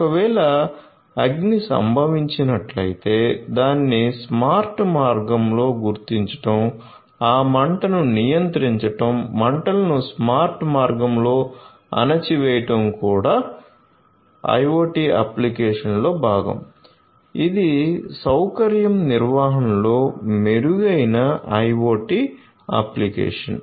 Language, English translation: Telugu, If there is a fire that occurs, then you know detecting that in a smart way you know controlling that fire suppressing the fire in a smart way these are also part of the IoT application you know you know improved IoT application in facility management